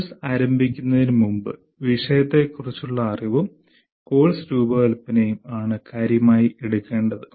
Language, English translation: Malayalam, Prior to the beginning of the course, the knowledge of subject matter and design of the course matter